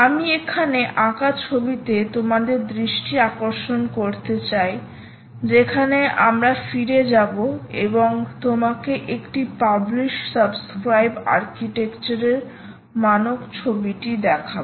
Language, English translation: Bengali, i want you to draw your attention to the picture i have drawn here where we go back and show you the standard picture of a publish subscribe architecture out